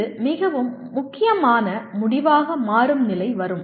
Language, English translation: Tamil, It can become a very crucial decision